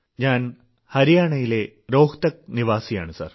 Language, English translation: Malayalam, I belong to Rohtak, Haryana Sir